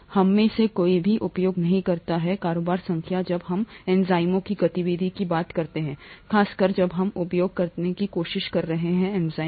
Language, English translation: Hindi, None of us use turnover number when we talk of activity of enzymes especially when we are trying to use enzymes